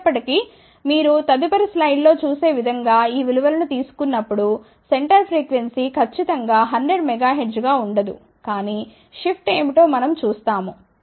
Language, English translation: Telugu, However, when you take these values as you will see in the next slide, the center frequency does not remain precisely 100 megahertz, but we will see what are the shift